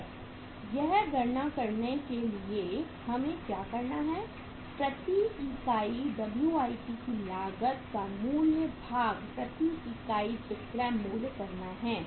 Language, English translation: Hindi, And for calculating this what we have to do is cost of WIP cost of WIP per unit divided by selling price per unit